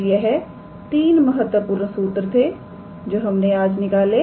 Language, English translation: Hindi, So, these are the 3 important formulas that we derived today